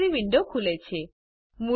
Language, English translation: Gujarati, The Library window opens